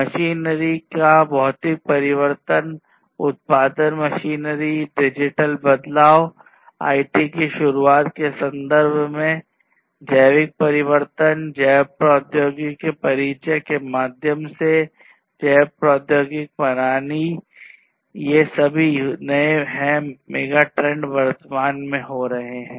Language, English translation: Hindi, So, trends in terms of physical transformation of machinery, manufacturing machinery, digital transformation in terms of the introduction of IT, biological transformation through the introduction of biotechnology, biotechnological systems, all of these are newer megatrends that are happening at present